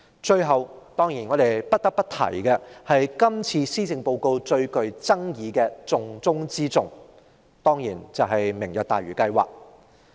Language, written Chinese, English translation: Cantonese, 最後，我們不得不提今次施政報告中最具爭議的"重中之重"，也就是"明日大嶼"計劃。, Lastly we must talk about the most controversial plan of top priority in the Policy Address this year the Lantau Tomorrow programme